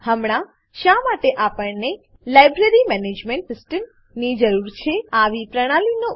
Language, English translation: Gujarati, Now, Why do we need a Library Management System